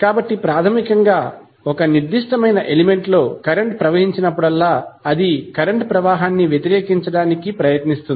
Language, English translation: Telugu, So, basically whenever the current flows in a particular element it tries to oppose the flow of current